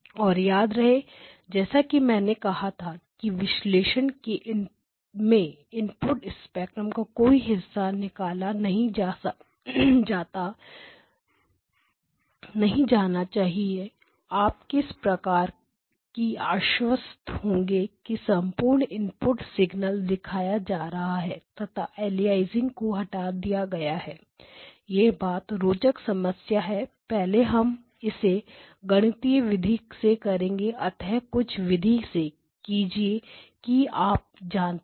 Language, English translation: Hindi, And remember I said no portion of the input spectrum can be omitted in the analysis so therefore how do you ensure that the entire input signal shows up at output signal and aliasing is removed very interesting problem what we are going to do is first mathematically do it that way you know